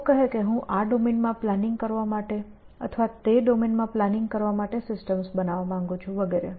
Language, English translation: Gujarati, People would say I want to build a system for planning in this domain or planning in that domain and so on